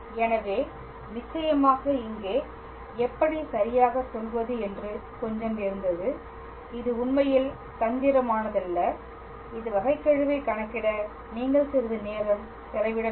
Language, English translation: Tamil, So, of course, it was a slightly how to say tricky here, its not tricky actually, you just have to spend some time calculating this derivative